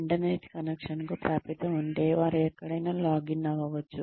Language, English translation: Telugu, They can login wherever, if they have access to an internet connection